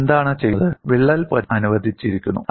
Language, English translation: Malayalam, And what is done is the crack is allowed to propagate